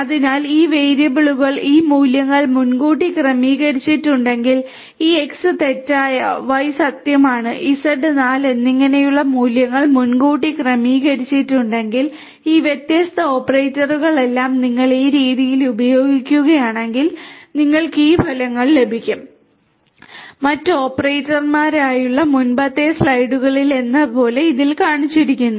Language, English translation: Malayalam, So, if these values are preconfigured to have these variables are preconfigured to have these values like this X false, Y true and Z 4 then, all of these different operators if you use them in this manner you are going to get these results that are shown over here like in the previous slides with the other operators